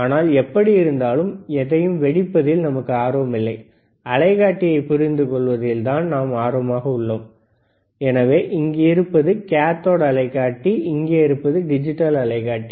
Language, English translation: Tamil, But anyway, we are not interested in blasting anything, we are interested in understanding the oscilloscope; so cathode oscilloscope here, digital oscilloscopes here